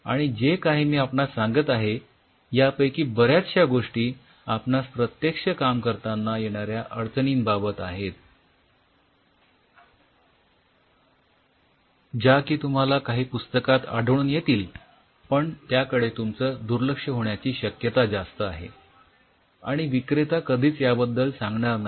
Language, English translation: Marathi, And much of the things what I am telling you are the practical hurdles you are going to face which the books we will tell, but you will over look most likelihood and the seller will never tell you